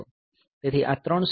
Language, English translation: Gujarati, So, these were the 3 stages